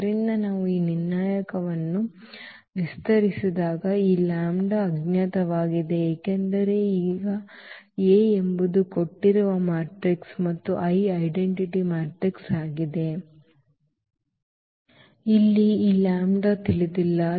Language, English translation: Kannada, So, when we expand this determinant because, this lambda is the unknown now A is a given matrix and I is the identity matrix